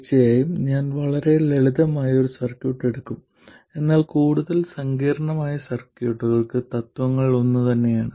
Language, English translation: Malayalam, Of course, I will take a very simple circuit, but the principles are the same for more complicated circuits